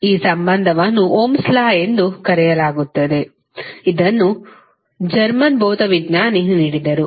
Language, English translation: Kannada, This relationship is called as Ohms law, which was given by the, that German physicist